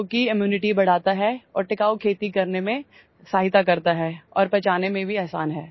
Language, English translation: Hindi, Which increases immunity and helps in sustainable farming and is also easy to digest